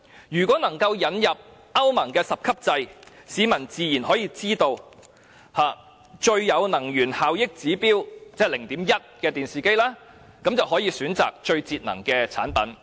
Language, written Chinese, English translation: Cantonese, 如果能夠引入歐盟的十級制，市民自然可以識別最具能源效益——即指數 0.1—— 的電視機，並選擇最節能的產品。, If the European Union 10 - grade system is introduced members of the public can certainly identify which television models are most energy - efficient―that is those with an EEI at 0.1―and buy the most energy - saving product